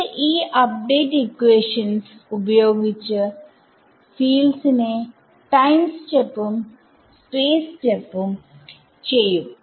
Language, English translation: Malayalam, It is using these update equations to time step the fields and space step the fields